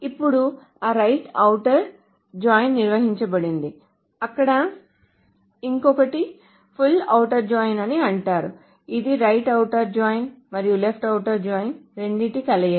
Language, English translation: Telugu, Now that right outer join is defined, so there is something called a full outer join which is the combination of both right outer join and left outer join